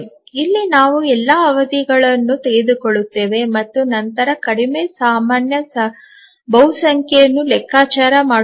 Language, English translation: Kannada, So, we take all the periods and then compute the least common multiple